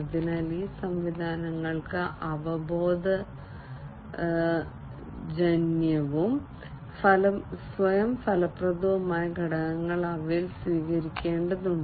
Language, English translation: Malayalam, So, these systems will require intuitive and self effective elements to be adopted in them